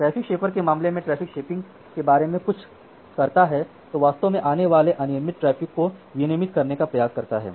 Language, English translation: Hindi, In case of traffic shaper it does something the traffic shaper it actually have this irregulated traffic and it tries to regulate the traffic further